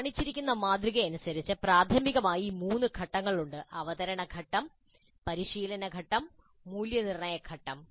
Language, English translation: Malayalam, Primarily there are three phases, a presentation phase, a practice phase, assessment and evaluation phase